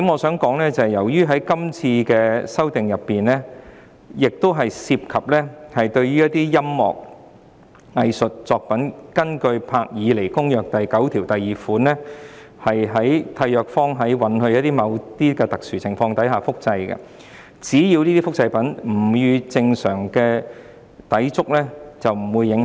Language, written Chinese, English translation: Cantonese, 此外，由於《條例草案》涉及音樂和藝術作品，根據《保護文學和藝術作品伯爾尼公約》第九條第二款，締約方允許在某些特殊情況下複製作品，只要這種複製不與正常利用相抵觸便不受影響。, Furthermore the Bill involves musical and artistic works and in accordance with Article 92 of the Berne Convention for the Protection of Literary and Artistic Works contracting parties shall permit the reproduction of works in certain special cases provided that such reproduction does not conflict with a normal exploitation of the work